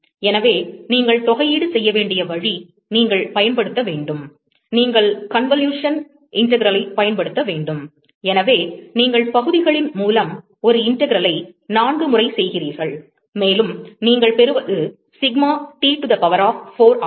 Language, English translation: Tamil, So, the way you have to integrate is, you have to use, we you have to use the convolution integral so, you do a integration by parts 4 times, and what you get is sigma T to the power of 4